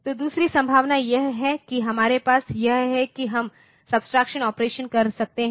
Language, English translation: Hindi, So, other possibility that we have is that we can have the subtraction operation